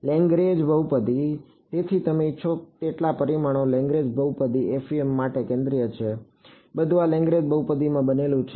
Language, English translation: Gujarati, Lagrange polynomials; so, Lagrange polynomials are central to FEM in as many dimensions as you want; everything is sort of built out of these Lagrange polynomials